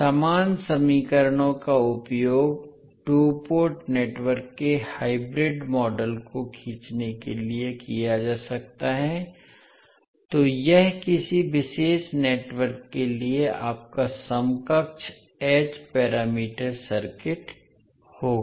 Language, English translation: Hindi, So the same equations you can utilize to draw the hybrid model of a two port network, so this will be your equivalent h parameter circuit for a particular network